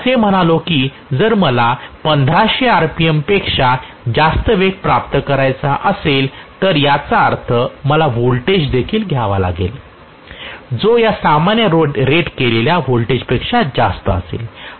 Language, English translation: Marathi, If I say that if I want to achieve a speed greater than 1500 rpm that means I have to go for a voltage also which will be higher than this normal rated voltage